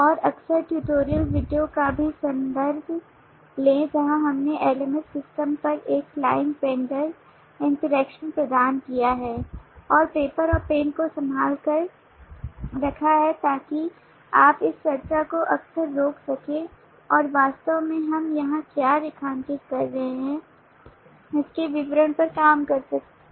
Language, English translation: Hindi, and also frequently refer to the tutorial video where we have provided a client vendor interaction on the lms system and keep paper and pen handy so that you can frequently pause this discussion and actually work out the details of what we are outlining here